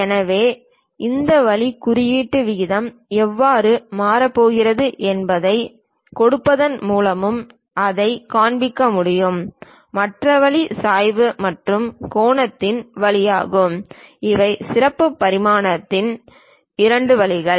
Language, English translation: Tamil, So, that way also we can really show it one by giving how this taper symbol ratio is going to change, the other way is through slope and angle these are two ways of special dimensioning